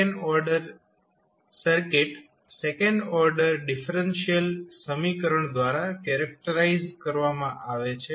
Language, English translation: Gujarati, So, second order circuit is characterized by the second order differential equation